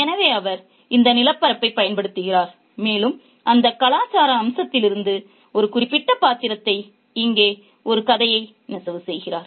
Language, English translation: Tamil, So, he uses this landscape and picks a certain character from that cultural facet to weave a story here